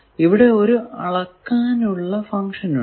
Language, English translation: Malayalam, So, you see that there are 1 measurement function